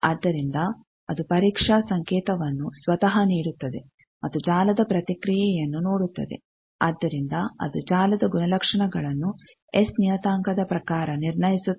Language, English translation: Kannada, So, it gives the test signal itself and sees the response of the network from that it infers the characteristic of the networks in terms of S parameter